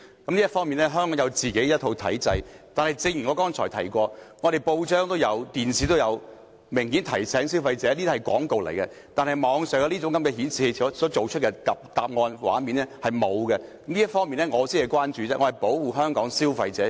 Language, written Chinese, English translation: Cantonese, 在這方面，香港本身有一套體制，但正如我剛才提及，本地報章及電視明顯有提醒消費者這些是廣告，但網上搜尋引擎的搜尋結果或畫面卻沒有這樣做，這方面才是我的關注，我是保護香港的消費者。, But as I have just said local newspapers and television broadcasters all carry prominent reminders to alert consumers that something is an advertisement . In contrast this is not the case with Internet search engine results or screen pictures . This is my concern